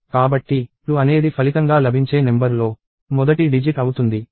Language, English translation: Telugu, So, 2 is the first digit of the resultant number